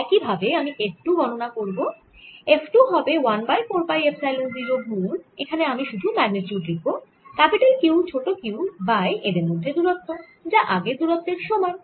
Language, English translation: Bengali, f two is going to be one over four, pi epsilon zero, and i'll just write the magnitude: capital q, small q over